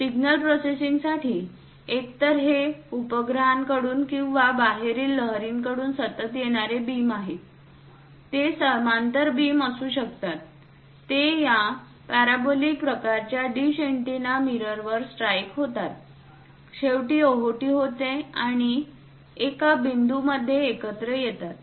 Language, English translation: Marathi, For signal processing, either these satellites sending or from extraterrestrial waves are continuously coming; they might be parallel beams which strike this parabolic kind of dish antennas mirrors, goes finally in reflux and converge to one point